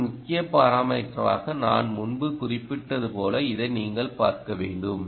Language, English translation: Tamil, so you have to look at this, as i mentioned earlier, as an important parameter